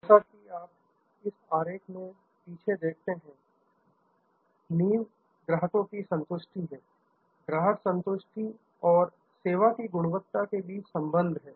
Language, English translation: Hindi, As you see in this diagram at the back, the foundation is customer satisfaction; there is a correlation between customer satisfaction and service quality